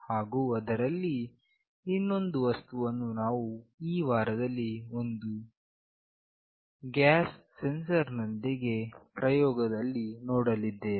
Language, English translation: Kannada, And there is one more thing that we will look into in this week is an experiment with a gas sensor